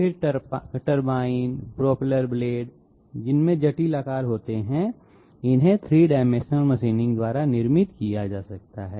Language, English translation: Hindi, Then turbine, propeller blades which have complex shapes, these can be manufactured by 3 dimensional machining